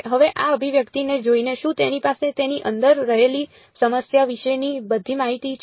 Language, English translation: Gujarati, Now looking at this expression does it have again does it have all the information about the problem inside it